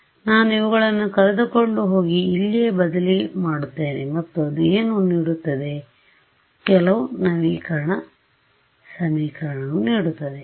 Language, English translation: Kannada, So, I take this guy take this guy and substitute them here right and what will that give me, it will give me some update equation right